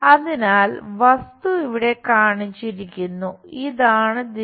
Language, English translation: Malayalam, So, the object is shown here and the direction is this